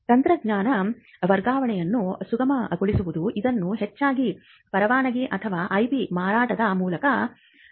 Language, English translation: Kannada, Facilitating technology transfer this is done largely by licensing or assigning which is a sale of the IP